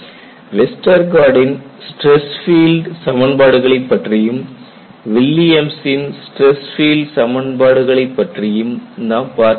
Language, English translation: Tamil, See we have looked at Westergaard stress field equations